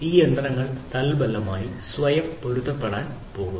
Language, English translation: Malayalam, So, these machines are going to be self adaptive consequently